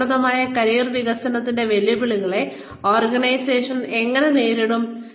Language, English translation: Malayalam, How do organizations meet challenges of effective career development